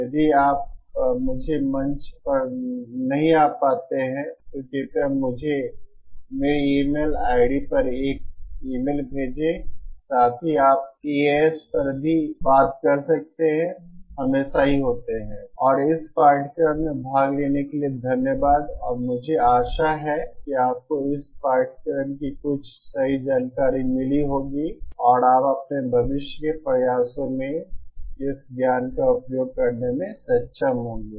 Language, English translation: Hindi, In case you do not reach me in the forum, please send me an email to my email ID, also you can talk with TAs, there are alwaysÉ And thank you for participating in this course and I hope you found some truthful information on this course and you will be able to use this knowledge in your future endeavor